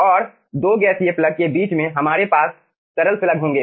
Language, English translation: Hindi, we are having, in between, 2 gaseous plug, we are having a liquid slug